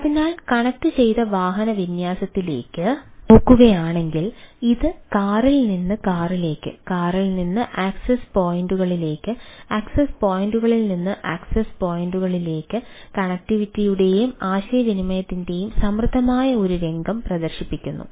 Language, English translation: Malayalam, so if we look at the connected vehicle, deployment displays rich scenario of connectivity: car to car, ah, car to access points and type of things